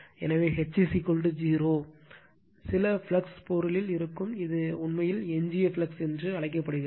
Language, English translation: Tamil, So, you will find when H is equal to 0, some flux will be there in the material, this is actually call residual flux right